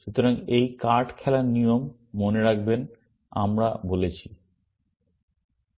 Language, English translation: Bengali, So, remember this card playing rules, we have said